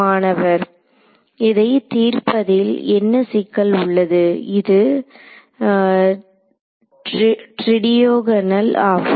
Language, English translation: Tamil, What is the complexity of solving this, so in this case it happens to be tridiagonal